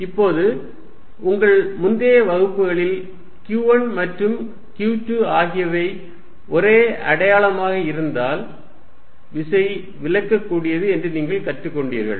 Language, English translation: Tamil, Now, you learnt in your previous classes that, if q 1 and q 2 are of the same sign, then the force is repulsive